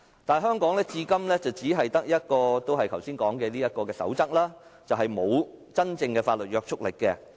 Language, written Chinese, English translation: Cantonese, 但是，香港至今只有剛才說的《公開資料守則》，而該守則並沒有法律約束力。, In Hong Kong however all we have is still the Code on Access to Information which is not legally binding